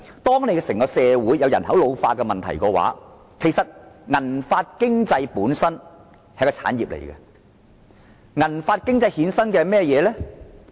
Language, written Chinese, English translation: Cantonese, 當整個社會出現人口老化問題的時候，"銀髮經濟"本身已變成一種產業，而且會衍生甚麼呢？, When society as a whole is plagued by the problem of an ageing population the silver hair economy itself has become an industry . What will it lead to?